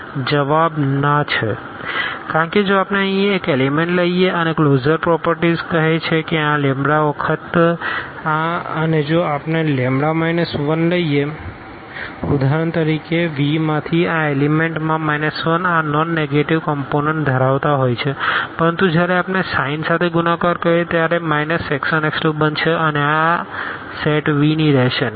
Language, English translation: Gujarati, And the answer is no, because if we take one element here and the closure property says that the lambda times this we must be there and if we take lambda minus 1, for example, so, the minus 1 into the this element from V which are having this non negative components, but when we multiply with the minus sign it will become minus x 1 minus x 2 and this will not belongs to this set V